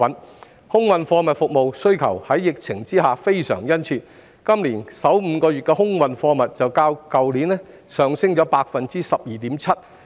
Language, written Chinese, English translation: Cantonese, 疫情下的空運貨物服務需求殷切，今年首5個月的空運貨物便較去年上升 12.7%。, Demand for air cargo services is strong in the wake of the epidemic with the volume of air cargoes in the first five months of the year increased by 12.7 % compared to last year